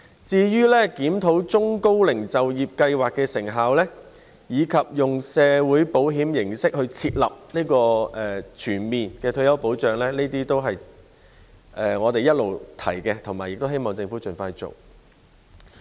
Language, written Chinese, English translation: Cantonese, 至於檢討中高齡就業計劃的成效，以及以社會保險形式設立全面退休保障制度，這些都是我們一直提倡並希望政府盡快做的事。, As for reviewing the effectiveness of the Employment Programme for the Elderly and Middle - aged and establishing a comprehensive retirement protection system in the form of social insurance we have all along been advocating and urging the Government to take expeditious actions in this regard